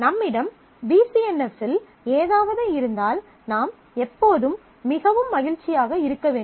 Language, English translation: Tamil, So, if I have something in BCNF should I really be very happy always